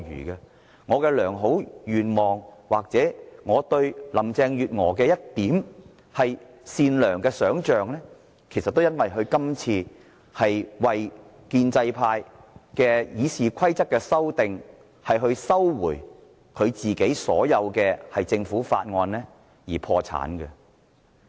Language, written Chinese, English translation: Cantonese, 我抱有的良好願望或我對林鄭月娥善良的一點想象，其實都因為她今次為建制派修訂《議事規則》而收回所有政府法案而破產。, My good expectations of Carrie LAM or my kind impressions of her have completely vanished as she withdrew all Government bills to help pro - establishment Members amend RoP